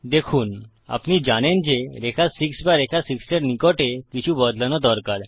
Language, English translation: Bengali, See you know you need to change something on line 6 or nearer line 6